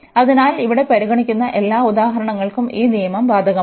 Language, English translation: Malayalam, So, all the examples considered here that rule is applicable